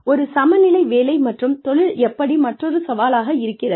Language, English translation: Tamil, And, how does, one balance work and career, is another challenge